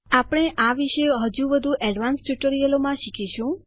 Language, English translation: Gujarati, We will learn more about them in more advanced tutorials